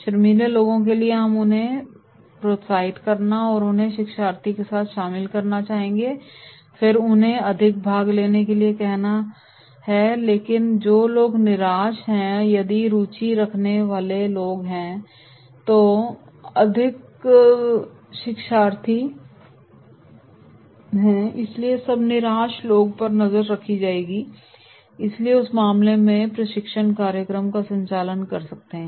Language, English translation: Hindi, For the shy people and we have to encourage them, involve them with these learners and then ask them to participate more, but those who are disinterested, if interested people are, more learners are more, so then disinterested people will be cornered and therefore in that case we can conduct training program